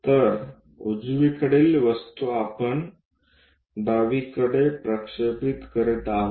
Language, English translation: Marathi, So, right side thing we are projecting on to the left side